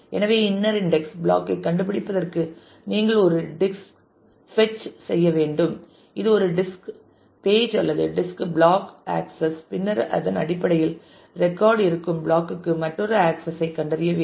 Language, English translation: Tamil, So, you need to do one disk fetch for finding out the inner index block which should be one disk page or disk block one access and then based on that to find another access to for the block in which the record exists